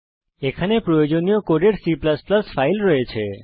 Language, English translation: Bengali, Here is the C++ file with the necessary code